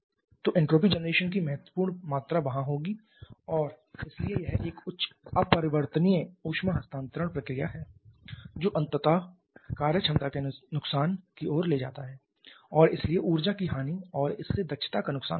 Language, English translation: Hindi, So, significant amount of entropy generation will be there and therefore it is a highly irreversible heat transfer process which finally leads to the loss of work potential and hence loss of energy and loss of efficiency from this